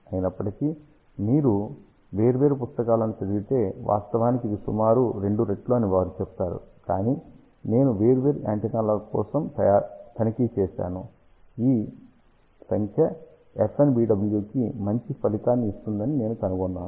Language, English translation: Telugu, However, if you read different books, they actually say this is approximately two times, but I have checked for different antennas I have found this number gives better result for FNBW